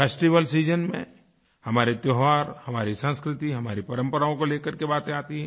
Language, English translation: Hindi, During the festival season, our festivals, our culture, our traditions are focused upon